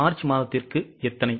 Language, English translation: Tamil, How many for March